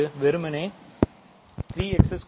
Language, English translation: Tamil, That is simply 3 x squared